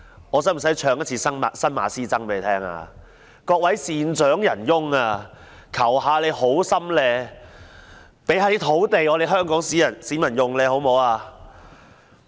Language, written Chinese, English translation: Cantonese, 我是否需要唱新馬師曾的歌曲："各位善長仁翁，求你們好心給一些土地香港市民使用，好嗎？, Do I need to sing the song of SUN MA Sze - tsang Dear benefactors would you be so kind as to give some land to Hong Kong people?